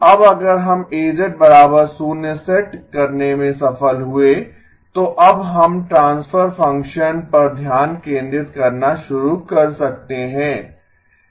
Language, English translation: Hindi, Now if we have succeeded in setting A of z equal to 0, then we can now start focusing on the transfer function